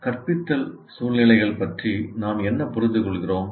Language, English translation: Tamil, What do we mean by instructional situations